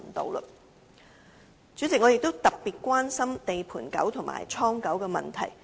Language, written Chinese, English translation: Cantonese, 代理主席，我也特別關注"地盤狗"和"倉狗"的問題。, Deputy President I also have particular concern for construction site dogs and warehouse dogs